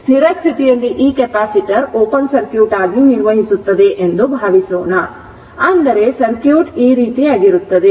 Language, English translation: Kannada, Suppose at steady state this capacitor will act as open circuit; that means, circuit will be something like this, right